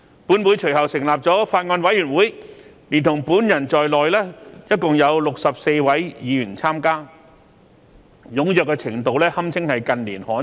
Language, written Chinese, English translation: Cantonese, 本會隨後成立法案委員會，連同本人在內共有64位議員參加，踴躍程度堪稱近年罕見。, Thereafter the Legislative Council set up a Bills Committee with a membership of 64 Members including myself . Such enthusiastic participation is rare in recent years